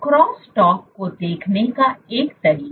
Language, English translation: Hindi, So, one way of seeing this cross talk